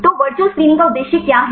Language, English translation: Hindi, So, what is the aim of the virtual screening